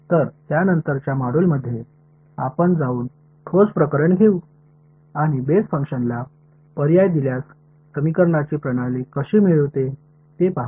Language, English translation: Marathi, So, in subsequent modules we will go and take a concrete case and see how do I get the system of equations once I substitute the basis function